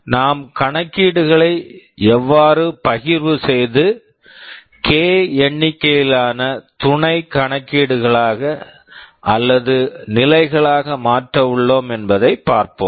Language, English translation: Tamil, We partition a computation that is being carried out into k number of sub computations or stages